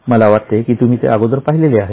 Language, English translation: Marathi, I think we have seen it earlier